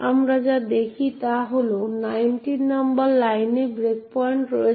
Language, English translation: Bengali, What we see is that there is the breakpoint at line number 19